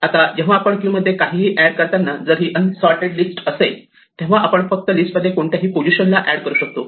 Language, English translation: Marathi, Now, if it is an unsorted list when we add something to the queue we can just add it to the list append it in any position